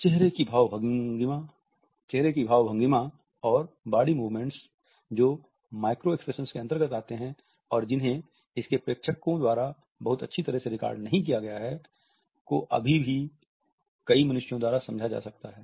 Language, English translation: Hindi, Fleeting facial expressions and body movements which we put into micro expressions which cannot even be very properly recorded by a castle onlooker can be still understood by several human beings